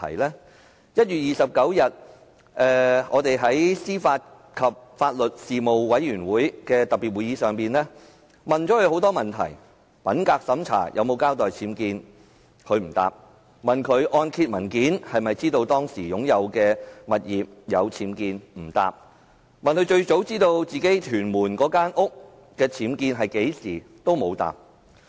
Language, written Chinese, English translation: Cantonese, 在1月29日的司法及法律事務委員會的特別會議上，我們向司長提出很多問題：品格審查時有否交代其物業的僭建物，她不回答；按揭文件有否顯示當時的物業有僭建物，她不回答；她最早何時知道其屯門物業內有僭建物，她不回答。, At the special meeting of the Panel on Administration of Justice and Legal Services on 29 January we put many questions to the Secretary for Justice did she give an account about the unauthorized building works UBWs in her residence during the integrity check she did not answer; did the mortgage document indicate that there were UBWs in the property she did not answer; when did she first find out there were UBWs in her property in Tuen Mun she did not answer